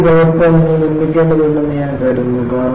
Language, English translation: Malayalam, I think you need to make a copy of this